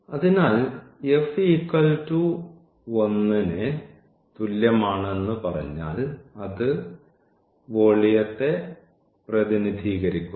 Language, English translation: Malayalam, So, it represents the volume if we say at f is equal to 1